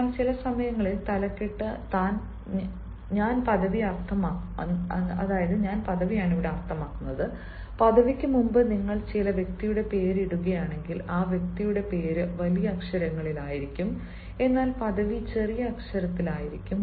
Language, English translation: Malayalam, but at times when this title i mean ah, this designation, ah before this designation, if you put the name of some person, the name of the person will be in capital but the designation will be in small letter